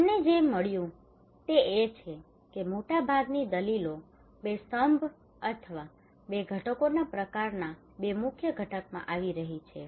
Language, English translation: Gujarati, What we found is that the most of the arguments are coming in two pillars or kind of two components two major components